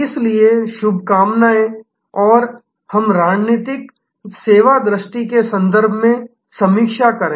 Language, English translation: Hindi, So, best of luck and let us review then in the context of strategic service vision